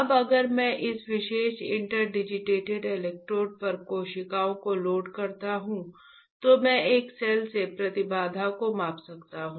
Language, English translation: Hindi, Now, if I load cells on this particular interdigitated electrodes, then I can measure the impedance of a cell